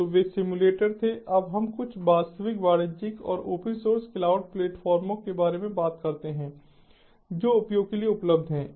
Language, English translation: Hindi, now let us talk about some real commercial and open source cloud platforms that are available for use